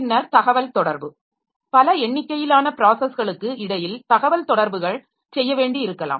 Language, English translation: Tamil, Then communication, we may need to have communication between number of processes